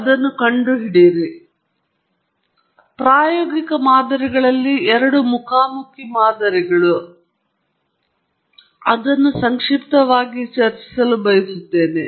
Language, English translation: Kannada, Now, within the empirical models, there are two broad classes of models that one encounters and I just want to briefly discuss those